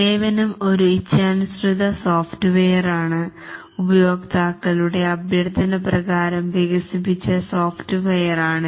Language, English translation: Malayalam, Whereas a service is a custom software, it's a software developed at users request